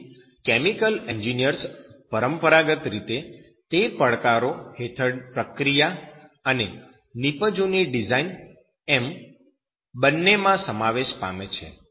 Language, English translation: Gujarati, So chemical engineers have traditionally been involved in both the design of the process and design of products under those challenges